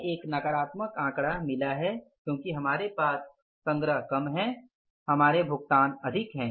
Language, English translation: Hindi, This is the deficit we have got a negative figure here because our collections are less, our payments are more